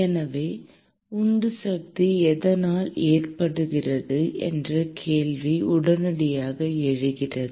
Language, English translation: Tamil, So, the question immediately arises as to what causes the driving force